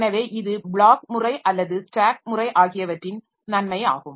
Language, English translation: Tamil, So, this is the advantage of this either the block method or the stack method